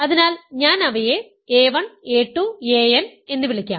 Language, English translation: Malayalam, So, I will call them a 1, a 2, a n like this